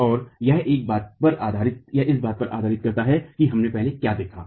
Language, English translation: Hindi, And this is based on what we have looked at earlier